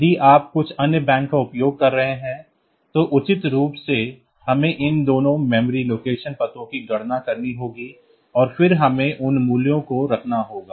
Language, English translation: Hindi, If you are using some other banks, appropriately we have to calculate these two memory location addresses and then we have to put those values